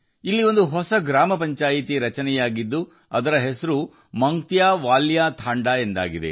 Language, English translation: Kannada, A new Gram Panchayat has been formed here, named 'MangtyaValya Thanda'